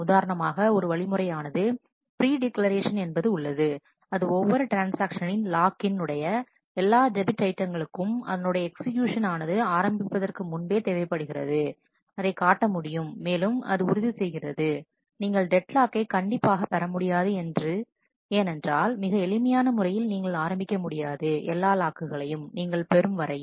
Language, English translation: Tamil, For example, one strategy which is called a predeclaration which required that each transaction locks all debt items before it begins its execution that can be shown that that ensures that you will never have deadlock because where in very simple terms you will not be able to start before you have got all the locks